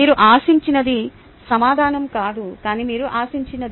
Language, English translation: Telugu, not the answer, but what is expected, the